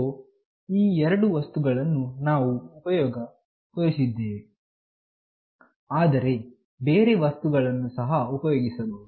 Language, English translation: Kannada, So, these are the two things that we have shown in the experiment, but other things can also be done